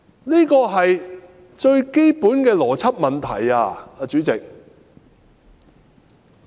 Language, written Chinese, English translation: Cantonese, 這是最基本的邏輯問題，主席。, This is a most basic question of logic President